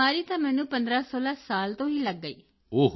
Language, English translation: Punjabi, I got sick when I was about 1516 years old